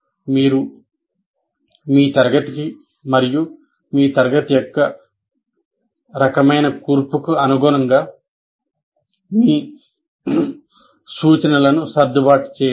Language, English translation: Telugu, And now you will have to adjust your instruction to suit your class, the kind of, or the composition of your class